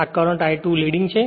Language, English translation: Gujarati, So, I 2 current is leading